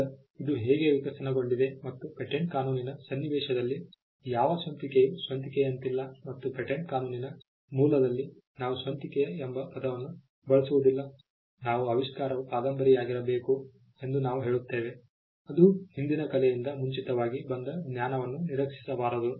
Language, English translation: Kannada, Now, we will see how this has evolved and what originality is unlike originality in the context of patent law and in patent law originality we do not use the word originality we say the invention has to be novel in a sense that it should not have been anticipated by the prior art the knowledge that went before